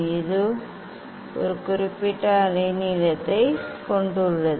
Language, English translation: Tamil, it has a particular wavelength